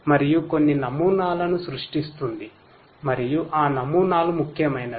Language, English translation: Telugu, And, will create certain models and those models are the important ones